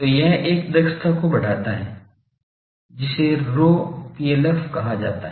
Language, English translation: Hindi, So, this gives rise to an efficiency which is called rho PLF